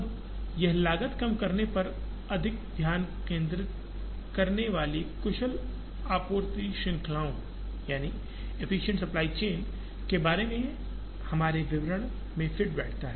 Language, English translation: Hindi, Now, this fits into our description of efficient supply chains concentrating more on cost minimization